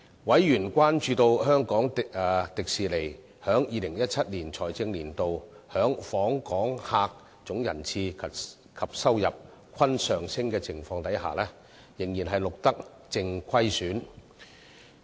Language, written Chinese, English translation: Cantonese, 委員關注到香港迪士尼在2017財政年度的訪客總人次及收入均上升的情況下，仍錄得淨虧損。, Members were concerned about the net loss recorded despite the rise in total park attendance and revenue increase of HKDL for the fiscal year 2017